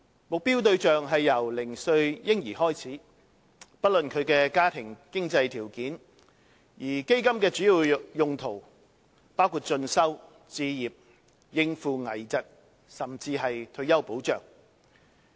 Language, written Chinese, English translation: Cantonese, 目標對象是由嬰兒零歲開始，不論其家庭經濟條件，而基金的主要用途包括進修、置業及應付危疾，甚至是退休保障。, The fund targets infants aged zero irrespective of the financial conditions of the family and is mainly used for further studies home acquisition and coping with critical illnesses and even for retirement protection